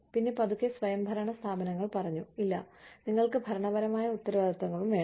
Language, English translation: Malayalam, And, then slowly, autonomous institutes said, no, you need to have administrative responsibilities, also